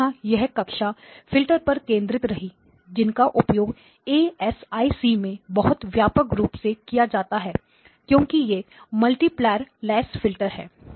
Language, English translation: Hindi, So again this is a class of filters that are used quite extensively in ASIC design because primarily because they are multiplierless filters